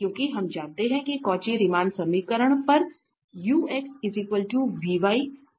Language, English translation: Hindi, These are the Cauchy Riemann equation